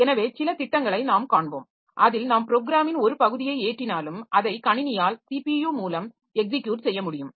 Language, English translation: Tamil, So, we will see some schemes in which we will find that even if we load a part of the program so they can be executed it can be executed by the system by the CPU